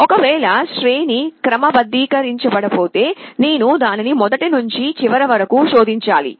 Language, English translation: Telugu, Well if the if the array was not sorted, then I would have to search it from the beginning to the end